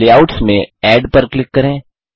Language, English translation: Hindi, In Layouts, click Add